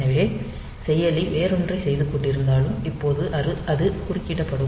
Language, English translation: Tamil, So, the processor maybe doing something else, and it now it will be up now it will be interrupted